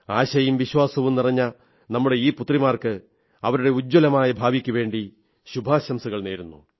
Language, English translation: Malayalam, I wish all these daughters, brimming with hope and trust, a very bright future